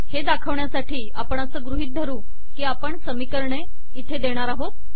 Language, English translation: Marathi, To demonstrate this, let us suppose, we include an equation here